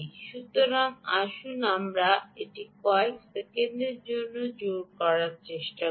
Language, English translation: Bengali, so let's try, ah, pairing it for a few seconds